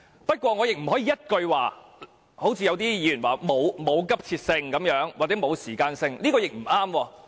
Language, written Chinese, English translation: Cantonese, 不過，某些議員說《條例草案》沒有急切性或沒有時間性，這樣也不對。, Nonetheless regarding the comment of certain Members about there being no urgency and time frame for the Bill I think it is incorrect